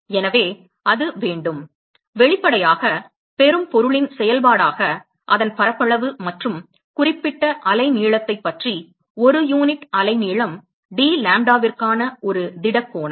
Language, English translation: Tamil, So, it has to; obviously, be a function of the receiving object its area and a solid angle per unit wavelength dlambda about that particular wave length